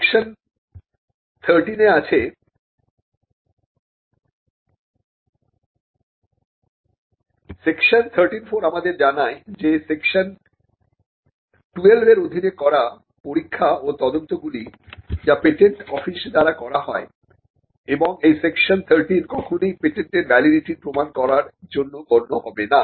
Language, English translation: Bengali, And section 13 tells us that the examination and investigations required under section 12, which is done by the patent office and this section which is section 13 shall not be deemed in any way to warrant the validity of any patent